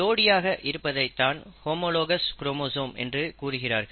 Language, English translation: Tamil, Now homologous chromosome is nothing but the pair